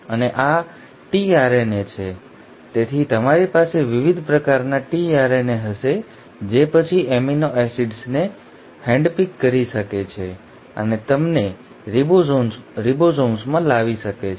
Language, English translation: Gujarati, And this tRNA is; so you will have different kinds of tRNAs which can then handpick the amino acids and bring them to the ribosomes